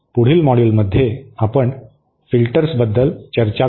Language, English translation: Marathi, In the next module we shall be discussing about filters